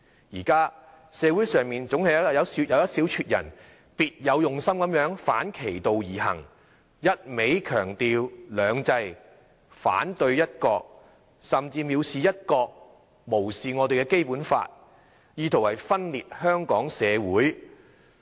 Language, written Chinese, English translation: Cantonese, 現在社會上總是有一小撮人別有用心地反其道而行，一味強調"兩制"，反對"一國"，甚至蔑視"一國"，無視《基本法》，意圖分裂香港社會。, At present there is always a small bunch of people with ulterior motives who act inactly the opposite way by stressing two systems and opposing one country all the time and they even hold one country in contempt and disregard the Basic Law trying to divide Hong Kong society